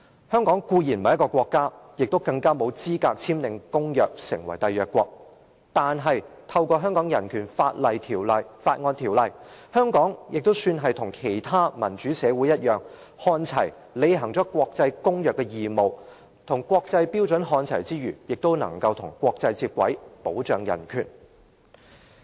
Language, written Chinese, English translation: Cantonese, 香港固然不是一個國家，更沒有資格簽訂公約成為締約國，但透過《香港人權法案條例》，香港也算是與其他民主社會看齊，履行了國際公約的義務，與國際標準看齊之餘，也能與國際接軌，保障人權。, It is by no means qualified to sign such treaties and become a State party . However through BORO Hong Kong can be regarded as being on par with the other democratic societies . Apart from fulfilling its obligations under the international treaties and aligning with international standards it can bring itself in line with the international practice and protect human rights